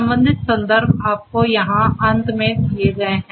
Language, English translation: Hindi, The corresponding references are given to you at the end over here